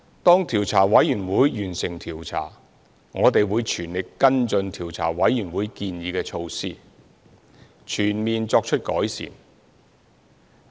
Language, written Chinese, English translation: Cantonese, 調查委員會完成調查後，我們會全力跟進調查委員會建議的措施，全面作出改善。, After the Commission has completed its inquiry we will spare no effort in following up on its proposed measures for improvement comprehensively